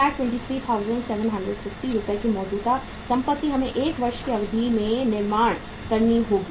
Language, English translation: Hindi, 723,750 worth of rupees of the current assets we will have to build up over a period of 1 year